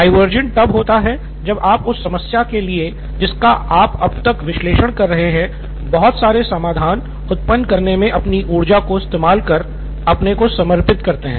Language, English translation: Hindi, Divergent is when you open up and dedicate your energies into generating a lot of solutions for the problem that you’ve been analyzing so far